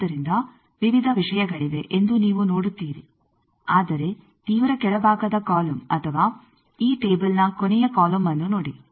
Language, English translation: Kannada, So, you see there are various things, but see the extreme bottom column or the last column of this table